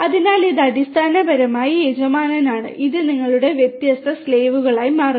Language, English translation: Malayalam, So, this is basically the master and this becomes your different slaves